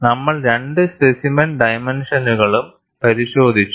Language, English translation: Malayalam, You have constraints on specimen dimensions